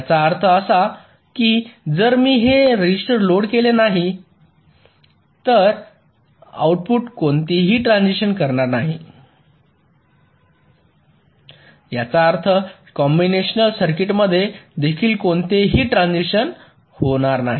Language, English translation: Marathi, which means if i do not load this register, the outputs will not be making any transitions, which means within the combinational circuit also there will not be any transitions